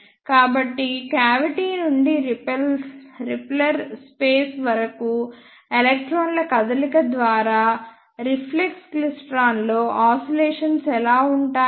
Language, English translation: Telugu, So, this is how oscillations are sustained in the reflex klystron by to and fro movement of electrons from cavity to repeller space